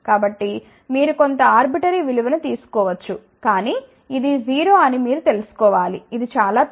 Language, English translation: Telugu, So, you may take some arbitrary value, but you should know that this is 0 this is very large